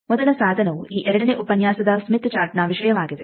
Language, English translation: Kannada, The first tool will be the topic of this 2nd lecture Smith Chart